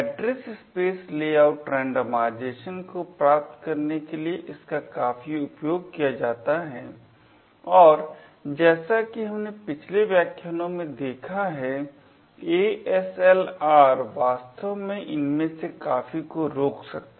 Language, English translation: Hindi, It is used quite a bit in order to achieve Address Space Layout Randomization and as we have seen the previous lectures ASLR can actually prevent a lot of these